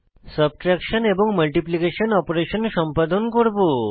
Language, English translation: Bengali, Similarly the subtraction and multiplication operations can be performed